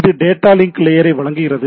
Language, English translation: Tamil, So, this is this provides the data link layer